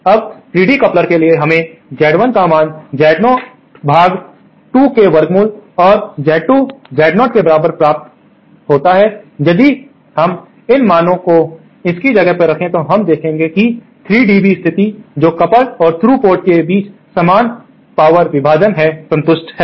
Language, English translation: Hindi, Now, for a 3 dB couplers, we should get Z1 equal to Z0 upon square root of root 2 and Z2 equal to Z0 if we plug in these values then we will see that the 3 dB condition that is equal power division between the coupled and through ports is satisfied